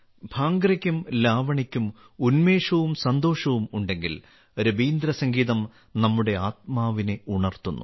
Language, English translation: Malayalam, If Bhangra and Lavani have a sense of fervor and joy, Rabindra Sangeet lifts our souls